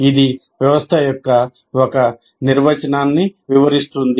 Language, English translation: Telugu, So that is one definition of system